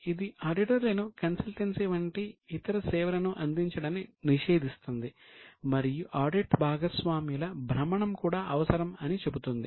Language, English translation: Telugu, Now it prohibits auditors from taking other services like consultancy and also necessitates rotation of audit partners